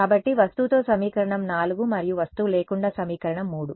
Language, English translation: Telugu, So, with object is equation 4 and without object is equation 3